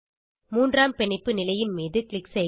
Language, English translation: Tamil, Click on the third bond position